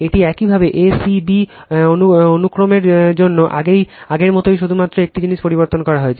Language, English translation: Bengali, This is for your a c b sequence same as before, only one thing is changed